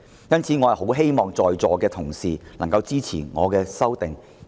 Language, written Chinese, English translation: Cantonese, 因此，我很希望在席的同事能夠支持我的修訂議案。, Hence I very much hope Honourable colleagues will support my amending motion